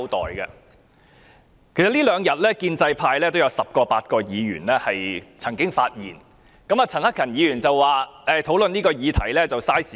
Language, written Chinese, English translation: Cantonese, 其實，這兩天建制派也有十位八位議員曾經發言，陳克勤議員說討論這項議題浪費時間。, In fact 8 to 10 Members of the pro - establishment camp have spoken in these two days and Mr CHAN Hak - kan said that it was a waste of time to discuss the issue